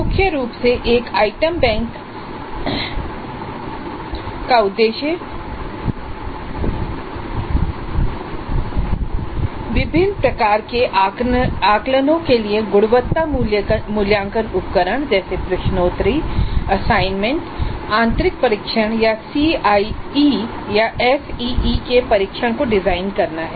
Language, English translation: Hindi, So, primarily the purpose of an item bank is to design quality assessment instruments for a variety of assessments, quizzes, assignments, internal tests or tests of CIE and SEA